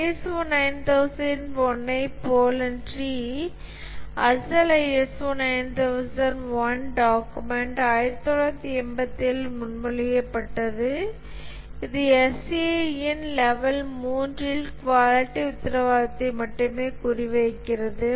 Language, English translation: Tamil, Unlike the ISO 9,001, the original ISO 9,001 document which was proposed in 1987, it targets only quality assurance that is the level 3 of ACI